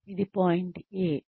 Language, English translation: Telugu, This is point A